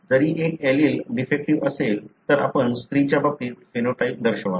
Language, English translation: Marathi, Even if one allele is defective, so you would show the phenotype in case of female